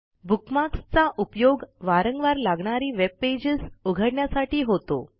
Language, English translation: Marathi, Bookmarks help you navigate to pages that you visit or refer to often